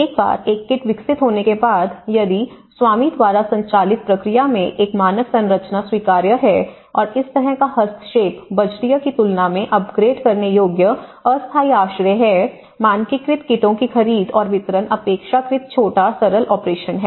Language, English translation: Hindi, Once a kit is developed, if a standard structure is acceptable in a owner driven process and this kind of intervention is upgradeable temporary shelter than budgeting, procurement and distribution of standardized kits is a relatively small, simple operation